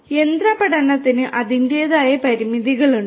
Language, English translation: Malayalam, But machine learning has its own limitations